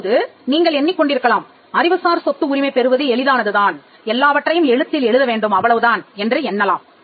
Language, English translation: Tamil, Now you may be wondering; so, is it easy to get an intellectual property right I just need to put everything in writing that is not the case